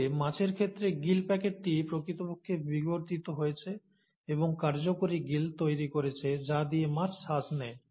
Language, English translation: Bengali, But, in case of fishes, the gill pouch actually evolves and forms the functional gills through which the fish respires